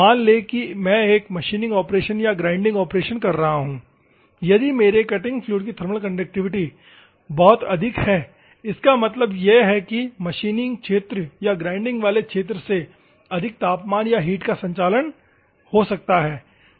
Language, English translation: Hindi, Assume that I am doing a machining operation or a grinding operation if the thermal conductivity of my fluid is very high; that means, that it can conduct more temperature or heat from the machining region or the grinding region